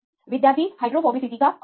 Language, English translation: Hindi, Average of hydrophobicity